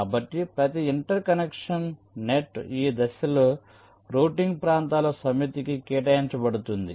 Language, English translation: Telugu, ok, so each interconnection net is assigned to a set of routing regions